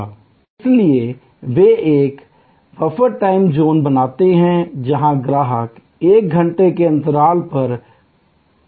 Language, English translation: Hindi, So, they create a buffer time zone, so that customer's can arrive over a span of one hour